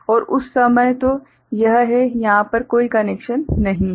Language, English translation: Hindi, And at that time so, this is there is no connection over here